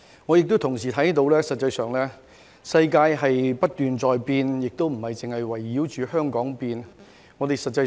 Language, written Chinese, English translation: Cantonese, 我也同時看到實際上世界不斷在變，而且不是圍繞着香港改變。, Furthermore I have noticed that the world is actually changing all the time and the changes do not revolve around Hong Kong